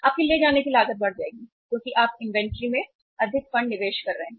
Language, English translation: Hindi, Your carrying cost will increase because you are investing more funds in the inventory